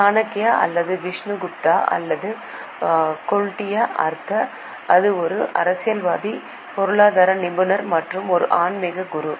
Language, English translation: Tamil, Chanakya or Vishnu Gupta or Kautiliya, he was a statesman, economist and also a spiritual guru